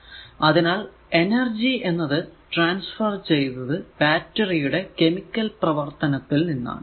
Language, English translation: Malayalam, Therefore, the energy is transfer by the chemical action in the battery because battery has a chemical action